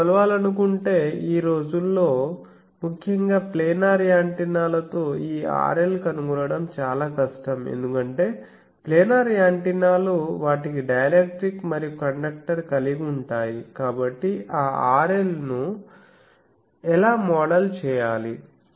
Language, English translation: Telugu, But otherwise if you want to measure that then there is a technique particularly nowadays with planar antennas this R L finding is difficult, because planar antennas they have dielectric as well as conductor, so there how to model that R L